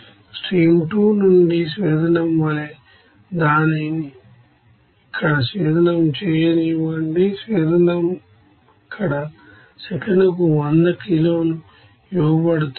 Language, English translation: Telugu, And from the stream 2 as a distillate, let it be distillate here, distillate is given here 100 kg per second